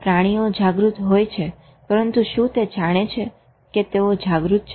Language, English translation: Gujarati, Animals may be aware but are they aware that they are aware